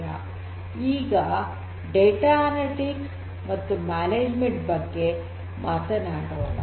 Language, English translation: Kannada, So, we have to talk about the analytics and the management of the data